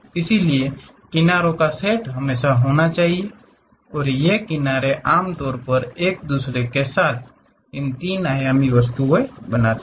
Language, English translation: Hindi, So, set of edges always be there and these edges usually intersect with each other to make it a three dimensional object